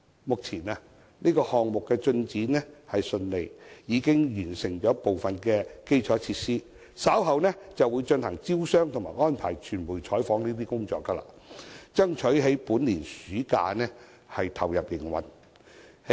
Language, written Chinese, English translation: Cantonese, 目前，項目進展順利，部分基礎設施已經完成，稍後便會進行招商和安排傳媒採訪等工作，目標是爭取在本年暑假投入營運。, Currently this project is progressing smoothly and certain infrastructures have already been completed . Later business promotion activities will be held and media coverage will be arranged . Our target is that the shopping center will be ready for operation this summer